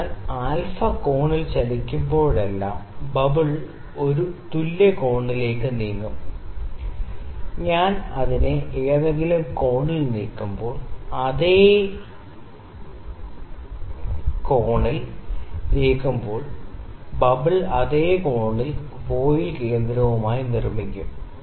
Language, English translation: Malayalam, So, whenever it is moved at an angle alpha, the bubble will move an equivalent angle, when I moved at some angle the bubble will also make the same angle with the centre of the voile